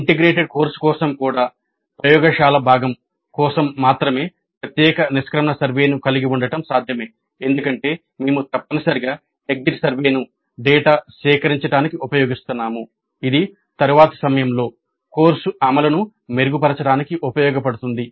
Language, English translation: Telugu, Even for an integrated course it is possible to have a separate exit survey only for the laboratory component because we are essentially using the exit survey to gather data which can be used to improve the implementation of the course the next time